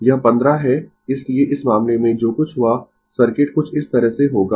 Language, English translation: Hindi, It is 15, so in this case what will happen the circuit will be like this